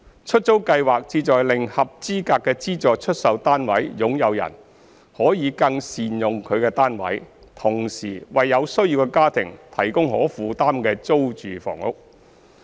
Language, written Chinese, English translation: Cantonese, 出租計劃旨在令合資格的資助出售單位擁有人可更善用其單位，同時為有需要的家庭提供可負擔的租住房屋。, The aim of the Letting Scheme is to allow eligible subsidized sale flat SSF owners to make better use of their flats and helping families in need of affordable rental housing